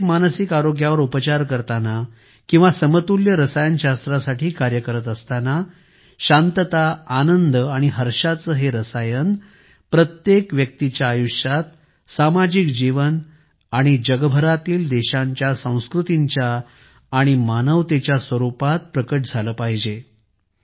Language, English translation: Marathi, Working for an internal mental health situation or working for an equanimous chemistry within ourselves, a chemistry of peacefulness, joyfulness, blissfulness is something that has to be brought into every individual's life; into the cultural life of a society and the Nations around the world and the entire humanity